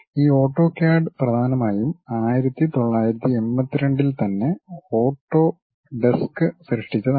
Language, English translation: Malayalam, And this AutoCAD is mainly first created by Autodesk, as early as 1982